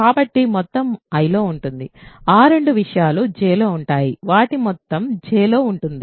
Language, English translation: Telugu, So, their sum is in I those two things are in J their sum is in J